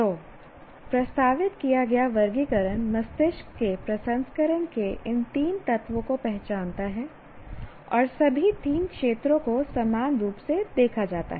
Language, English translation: Hindi, So, the taxonomy that was proposed contains or recognizes these three elements of processing by the brain and all the three domains are correspondingly looked at